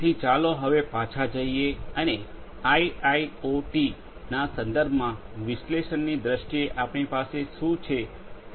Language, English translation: Gujarati, So, let us now go back and have a look at what we have in terms of analytics with respect to IIoT scenarios